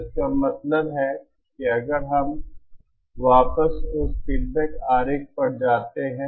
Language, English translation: Hindi, So this in turn means if we go back to if we go back to that feedback diagram